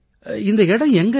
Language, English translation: Tamil, Where does this lie